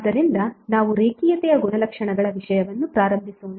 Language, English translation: Kannada, So let us start the topic on linearity property